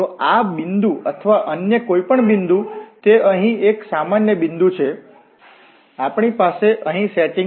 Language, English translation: Gujarati, So at this point or at any other point also it is a general point here, we have the setting here